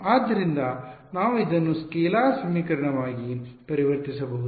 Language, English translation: Kannada, So, we can convert it into a scalar equation